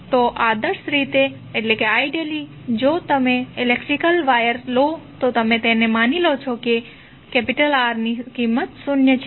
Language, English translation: Gujarati, So, ideally if you take electrical wire you assume that the value of R is zero